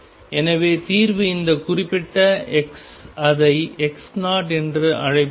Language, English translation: Tamil, So, solution is this particular x let us call it x naught